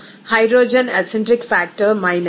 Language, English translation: Telugu, Now, the hydrogen acentric factor is given as minus 0